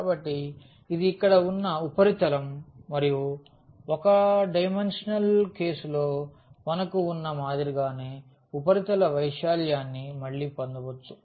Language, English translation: Telugu, So, this is the surface here and we can get the surface area again similar to what we have for the 1 dimensional case